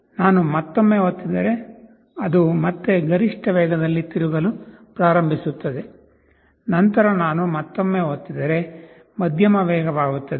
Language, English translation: Kannada, I press once more, it will again start rotating in the maximum speed, then I press once more medium speed